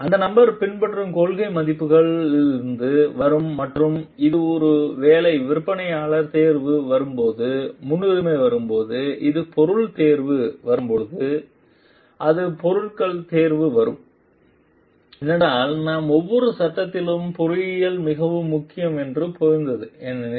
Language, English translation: Tamil, And that will come from the values the principles that the person is following and when it comes to prioritizing, when it comes to maybe choice of vendors, it comes to selection of materials because, we understand that engineering at each of the phases are very important